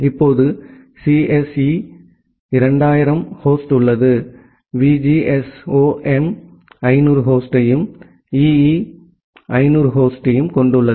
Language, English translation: Tamil, Now, assume that the CSE has 2000 host, VGSOM has 500 host, and EE has 500 host